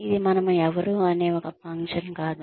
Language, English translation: Telugu, It is not a function of, who we are